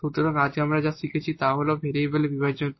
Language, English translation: Bengali, So, this is what we have learnt today, the separable of variables